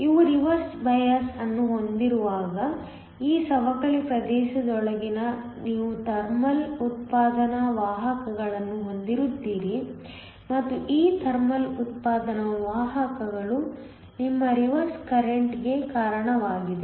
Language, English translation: Kannada, When you have a reverse biased, you have thermal generation of carriers within this depletion region and this thermal generation of carriers is responsible for your reverse current